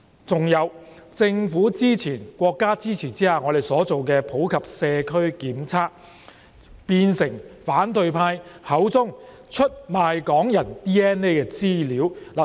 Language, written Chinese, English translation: Cantonese, 還有，我們在政府及國家支持下進行的普及社區檢測計劃，變成反對派口中的出賣港人的 DNA 資料。, Moreover the opposition camp called the Universal Community Testing Programme supported by the Government and the country a scam to sell out Hong Kong peoples DNA data